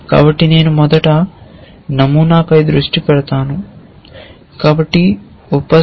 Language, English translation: Telugu, And so I will focus we will first focus on the pattern